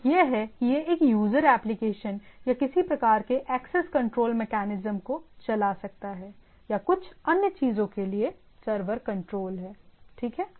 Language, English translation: Hindi, One is that can it can be running a user applications or some sort of access control mechanisms, or there is a server control for some other things, right